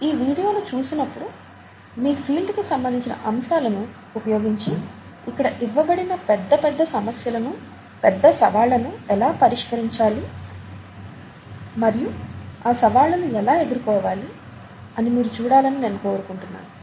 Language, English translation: Telugu, When you watch through these videos, I would like you to see how your field, the aspects of your field are being used to solve huge problems, huge challenges, overcome huge challenges as the ones that are being given here